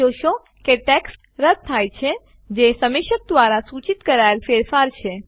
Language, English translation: Gujarati, You will see that the text gets deleted which is the change suggested by the reviewer